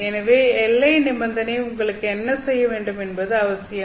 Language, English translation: Tamil, So this is what the boundary condition is basically doing